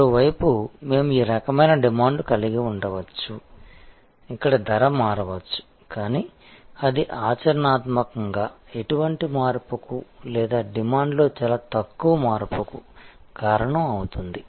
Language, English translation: Telugu, On the other hand we can have this type of demand, where the price may change, but that will cause practically no change or very little change in demand